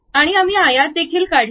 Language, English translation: Marathi, And also we went with rectangles